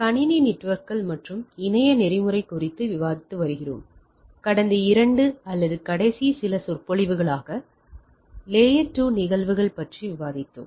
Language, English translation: Tamil, We are discussing on Computer Networks and Internet Protocol and as last couple of or last few lectures, we were discussing with layer 2 phenomena